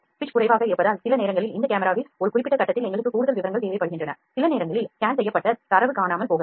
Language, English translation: Tamil, Because the pitch is limited sometimes we need more details at a specific point for instance in this camera in this scan this data might be missing